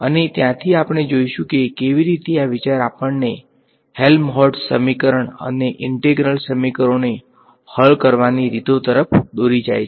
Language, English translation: Gujarati, And from there we will see how the idea for this idea leads us to what is called the Helmholtz equation and ways of solving the integral equations that come ok